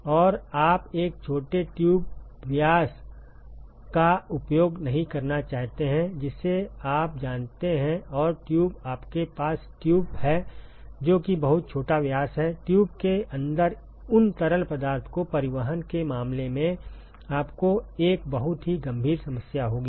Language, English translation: Hindi, And you also do not want to use a small tube diameter you know shall and tube you have tube which are which have a very small diameter you will have a very serious issue in terms of transporting those fluid inside the tube